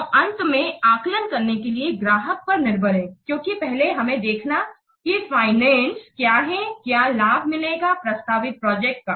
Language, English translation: Hindi, So, in the end, it is up to the client to assess this because first we have to see what financial, what benefits will get out of the proposed project